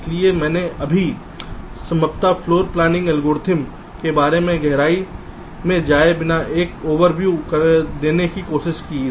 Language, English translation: Hindi, so i just tried to give an overview regarding the possible floor planning algorithms without trying to go into the very details of them